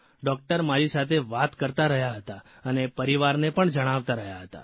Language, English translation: Gujarati, Doctors were talking to me and informing family too